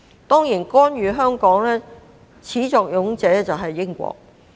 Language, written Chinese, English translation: Cantonese, 當然，干預香港事務的始作俑者是英國。, Of course it was Britain that first started interfering with Hong Kongs affairs